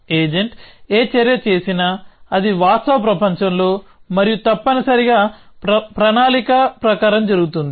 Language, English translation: Telugu, Whatever action the agent does, it happens in the real world and as planned essentially